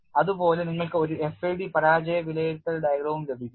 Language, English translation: Malayalam, Now you are equipped with failure assessment diagram